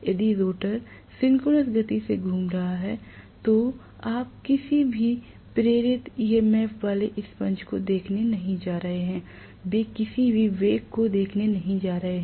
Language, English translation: Hindi, If the rotor is rotating at synchronous speed, you are not going to see the damper having any induced EMF at all; they are not going to see any relative velocity